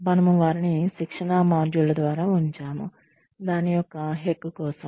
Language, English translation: Telugu, We put them through training modules, just for the heck of it